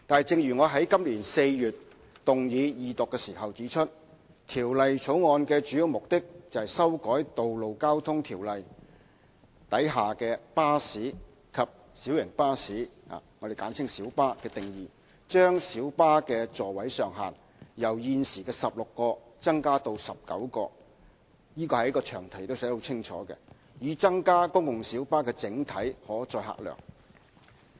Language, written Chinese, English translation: Cantonese, 正如我在今年4月動議二讀時指出，《條例草案》的主要目的，是修改《道路交通條例》下"巴士"及"小型巴士"的定義，將小巴的座位上限由現時16個增加至19個——這一點在詳題中亦寫得很清楚——以增加公共小巴的整體可載客量。, As I pointed out when the Second Reading of the Bill was moved in April this year the main purpose of the Bill is to revise the definitions of bus and light bus under the Road Traffic Ordinance so as to increase the maximum passenger seating capacity of light buses from 16 to 19―which has been stated very clearly in the long title . The aim is to increase the total carrying capacity of public light buses PLBs